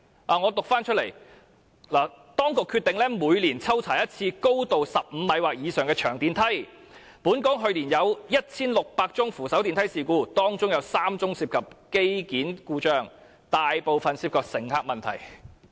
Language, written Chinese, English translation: Cantonese, 讓我讀出來，"當局決定每年抽查一次高度15米或以上的長電梯，本港去年有 1,600 宗扶手電梯事故，當中有3宗涉及機件故障，大部分涉及乘客問題。, It said to the effect that the authorities decided to conduct random inspections on long escalators with a height of 15 meters or above once a year and that last year there were 1 600 accidents involving escalators in Hong Kong of which three were related to equipment fault while most of the accidents involved problems on the part of passengers meaning that users of escalators did not follow the instructions